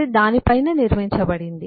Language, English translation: Telugu, It is build on top of that